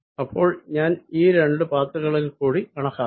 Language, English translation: Malayalam, so i have calculated over these two paths